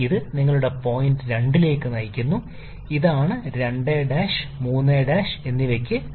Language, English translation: Malayalam, This leads to your point 2 prime; this is your 2 prime, 3 and 4